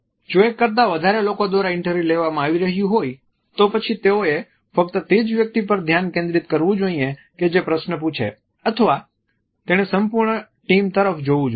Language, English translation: Gujarati, If they are being interviewed by a group of people then should they only focus on the person who is ask the question or should they look at the complete team